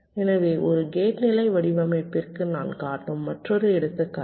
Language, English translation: Tamil, so another example i am showing for a gate level design